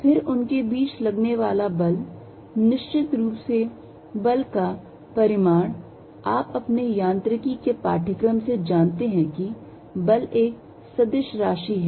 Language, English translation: Hindi, Then, the force between them the magnitude force of course, you know from your Mechanics course that force is a vector quantity